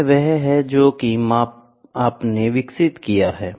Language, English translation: Hindi, This can be maybe what you have developed